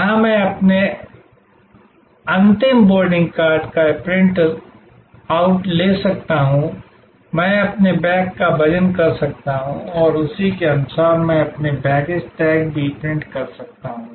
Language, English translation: Hindi, Here, I could print out my final boarding card, I could weigh my bags and accordingly, I could print out my baggage tags